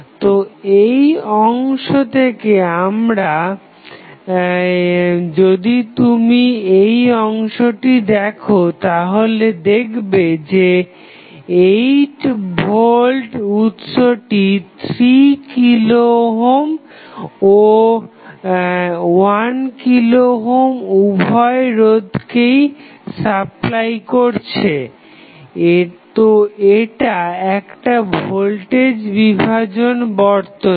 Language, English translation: Bengali, So, from this segment, if you see this segment the 8 volt is supplying current to both of the registrants is that is 3 kilo ohm, 1 kilo ohm, both, so, this is nothing but voltage divided circuit